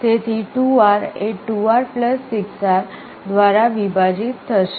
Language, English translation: Gujarati, So, 2R divided by (2R + 6R)